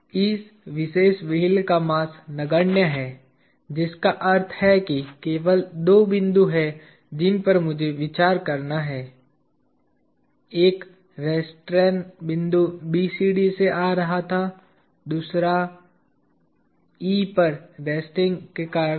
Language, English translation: Hindi, The mass of this particular wheel is negligible which means there are only two points that I have to consider; one point of restrain coming from BCD and the other was one is due to resting at E, alright